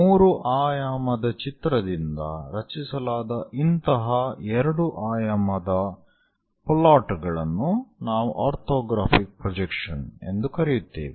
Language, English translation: Kannada, Such kind of 2 dimensional plots from 3 dimensional, we call as orthographic projections